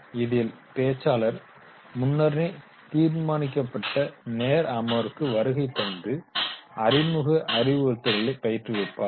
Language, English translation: Tamil, Speaker visits the session for a predetermined time period and the primary instruction is conducted by the instructor